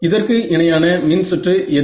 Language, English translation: Tamil, That is equivalent circuit distribution